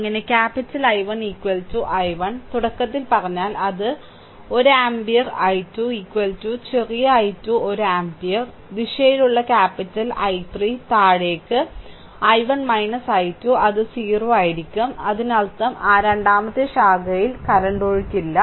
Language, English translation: Malayalam, Thus capital I 1 is equal to i 1 and I told you at the beginning it is 1 ampere I 2 is equal to small i 2 is 1 ampere and capital I 3 in the direction is downwards I 1 minus I 2 that is equal to 0; that means, in that second branch there is no current flowing, right